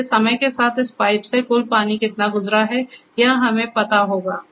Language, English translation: Hindi, So, over a period of time how total water has passed through this pipe will be known to us